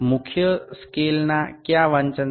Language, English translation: Gujarati, Which reading of the main scale